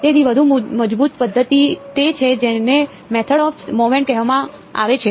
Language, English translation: Gujarati, So, the more robust method is what is called the method of moments